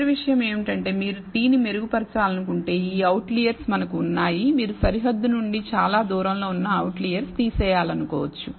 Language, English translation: Telugu, The last thing is we have these outliers if you want to improve the t you may want to remove let us say the outlier which is farthest away from the boundary